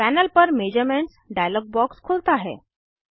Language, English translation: Hindi, Measurements dialog box opens on the panel